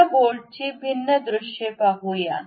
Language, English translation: Marathi, Let us look at different views of this bolt